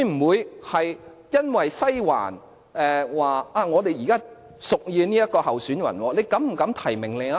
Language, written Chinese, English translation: Cantonese, 會否在西環屬意某個候選人的情況下膽敢提名另一位？, Did they have the guts to nominate candidates other than the one preferred by Western District?